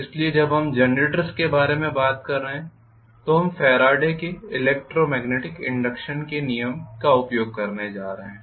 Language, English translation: Hindi, So when we are talking about generator, we are going to use Faraday’s law of electromagnetic induction